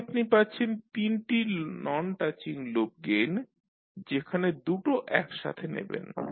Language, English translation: Bengali, So you will have 3 sets of non touching loop gains where you will take two at a time